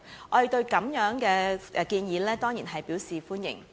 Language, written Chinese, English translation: Cantonese, 我們對此建議當然表示歡迎。, We certainly welcome this proposal